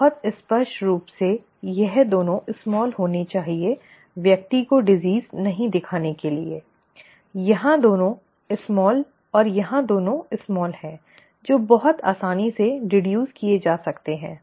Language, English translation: Hindi, Very clearly this has to be both smalls for the person not to show the disease, both small here and both small here that can be very easily guessed, deduced